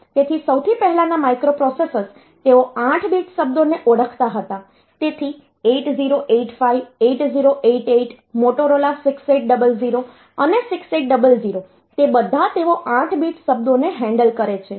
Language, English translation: Gujarati, So, that the earliest microprocessors they recognized 8 bit words, so 8085, 8088 and this Motorola 6800, 6800, they are all they handle 8 bit words